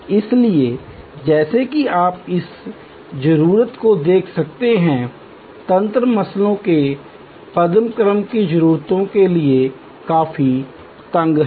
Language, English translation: Hindi, So, as you can see this need arousal, mechanisms are quite tight to the Maslow’s hierarchy of needs